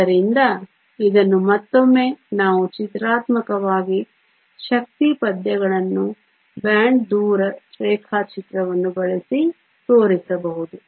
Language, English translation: Kannada, So, this once again we can show this pictorially using the energy verses the bond distance diagram